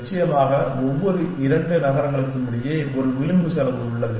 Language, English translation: Tamil, And off course, between every two cities there is an edge cost